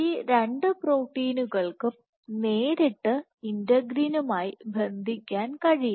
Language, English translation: Malayalam, Both of these proteins can directly bind to integrins